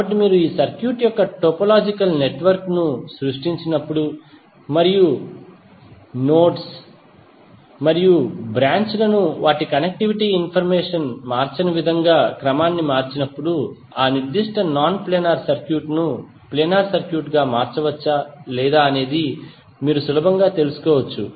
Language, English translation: Telugu, So when you create the topological network of this circuit and if you rearrange the nodes and branches in such a way that their connectivity information is not changed then you can easily find out whether that particular non planar circuit can be converted into planar circuit or not